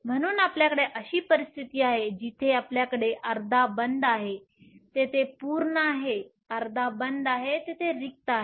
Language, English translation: Marathi, So, You have a situation where you have half of the band, there is full, half of the band, there is empty